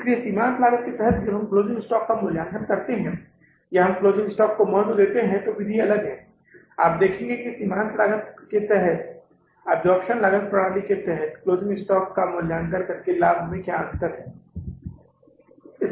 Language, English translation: Hindi, So, under the marginal costing, when we evaluate the closing stock or we value the closing stock, the method is different and you will see what is the difference in the profits by say valuing the closing stock under the absorption costing system and under the marginal costing system